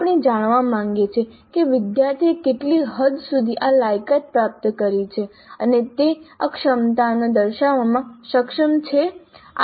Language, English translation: Gujarati, Now we would like to know what is the extent to which the student has acquired these competencies and is able to demonstrate these competencies